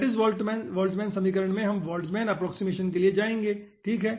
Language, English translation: Hindi, in case of lattice boltzmann equation, we go for boltzmann approximation